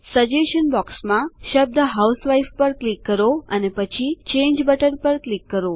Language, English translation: Gujarati, In the suggestion box,click on the word housewife and then click on the Change button